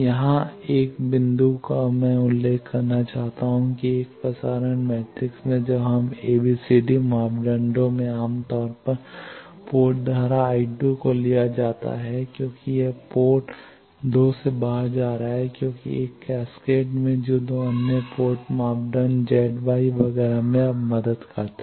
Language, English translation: Hindi, Here 1 point I want to mention that in a transmission matrix ABCD parameters when we find generally the port current I 2 is taken as it is going out from port 2 because in a cascade that helps now in other 2 port parameters Z y etcetera